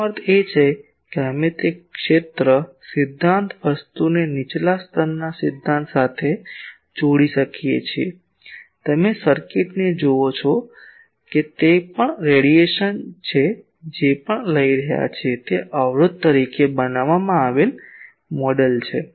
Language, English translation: Gujarati, That means, we again could relate that field theory thing to a lower level theory, you call circuit theory that it is also a radiation what is taking place we have model designed as an resistance